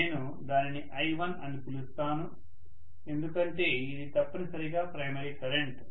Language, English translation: Telugu, Let me call that as I1 because it is essentially the primary current